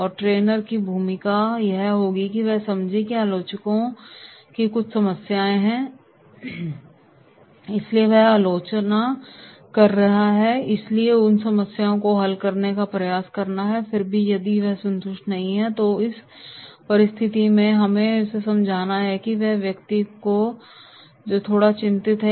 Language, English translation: Hindi, And the role of a trainer will be that is the critics is having certain problems that is why he is criticising so we have to try to resolve those problems and then even if he is not satisfied then in that case we have to understand that this is the person who has to be little bit cornered